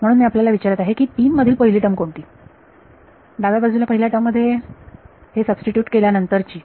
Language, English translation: Marathi, So, I am asking you what is the first term of 3 left hand side of 3 first term having substituted this